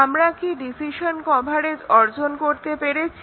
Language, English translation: Bengali, So, decision coverage is achieved